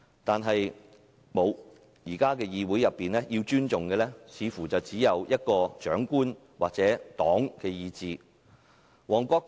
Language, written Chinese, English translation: Cantonese, 但是，現時議會要尊重的似乎只有長官或黨的意志。, And yet it seems that at present this Council only respects the will of the leaders or the Party